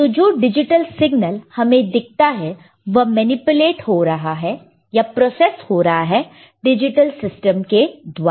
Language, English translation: Hindi, So, the digital signals that we see that would be, that are getting manipulated, that are getting processed by the digital signals